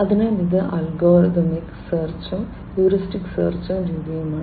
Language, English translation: Malayalam, So, it is algorithmic search versus heuristic search method